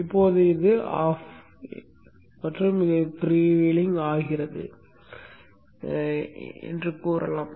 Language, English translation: Tamil, Now when let us say this is off and this is freewheeling